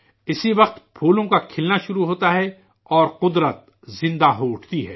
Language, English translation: Urdu, At this very time, flowers start blooming and nature comes alive